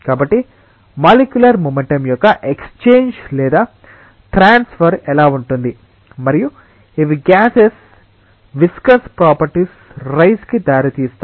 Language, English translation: Telugu, So, that is how there is an exchange or transfer of molecular momentum and these gives rise to the viscous properties of gases